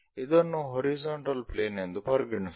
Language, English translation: Kannada, Let us consider this is the horizontal plane